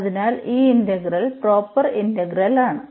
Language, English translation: Malayalam, So, this integral is also proper integral